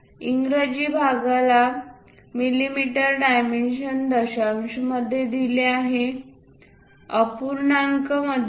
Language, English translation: Marathi, English parts are dimensioned in mm with decimals, not fractions